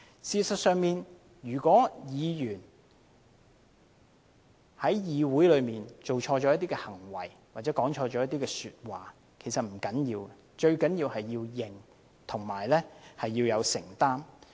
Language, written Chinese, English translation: Cantonese, 事實上，如果議員在議會內做錯事或說錯話，其實不要緊，最重要的是承認和承擔。, As a matter of fact if Members say or do things wrong in the Council it is all right because the most important point is to admit the mistake and take the responsibility